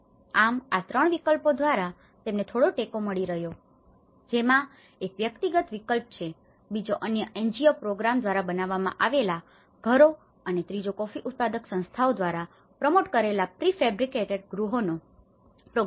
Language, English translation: Gujarati, For these 3 options, they have been getting some support, one is the individual option, the second one is houses from other NGOs programs and a program of prefabricated houses promoted by the coffee grower’s organizations